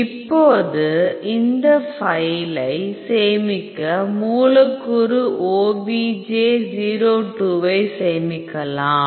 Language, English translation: Tamil, Now you can save this file save molecule obj o2